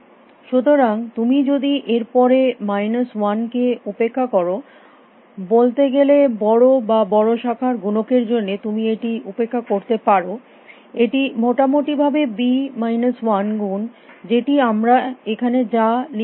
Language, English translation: Bengali, So, if you ignore that minus one next say for large or large branching factor you can ignore that you can that l is roughly b minus 1 times I, which is also what we have written here